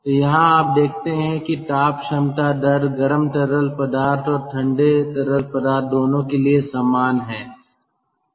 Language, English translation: Hindi, so here you see, heat capacity rates are same for both the hot fluid and cold fluid